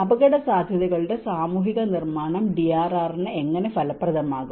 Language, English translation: Malayalam, How can the social construction of risks be effective for DRR